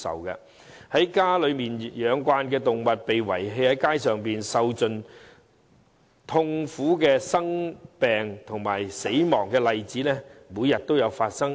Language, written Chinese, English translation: Cantonese, 習慣被家養的動物被遺棄街上，受盡痛苦、生病及死亡的例子每天都在發生。, If a domesticated animal is abandoned in the street it will suffer greatly fall sick and die . We find such examples every day